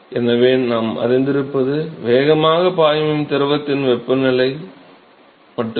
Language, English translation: Tamil, So, what we know is only the temperature of the fluid which is flowing fastest